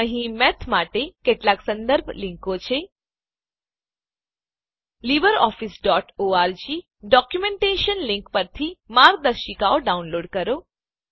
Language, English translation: Gujarati, Here are some reference links for Math: Download guides at libreoffice.org documentation link